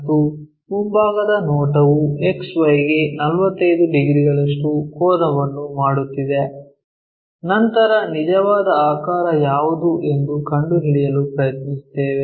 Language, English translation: Kannada, And front view is a line 45 degrees inclined to XY, then we try to figure it out what might be the true shape